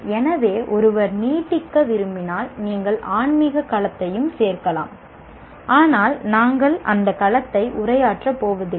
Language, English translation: Tamil, So if one wants to extend, you can add the spiritual domain, but we are not going to address that domain at all